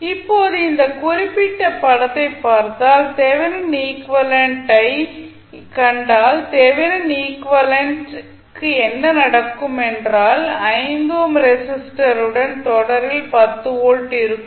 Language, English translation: Tamil, Now, if you see this particular figure if you see the thevenin equivalent what will happen to the thevenin equivalent will be 10 volt plus minus in series with 5 ohm resistance